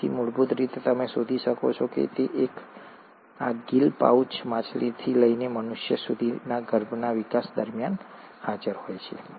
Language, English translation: Gujarati, So, basically, what you find is that these gill pouches are present during the embryonic development all across from fish to the humans